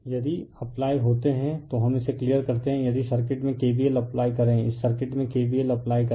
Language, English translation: Hindi, If you apply we just let me clear it if you apply K v l in the circuit if you apply K v l in this circuit, right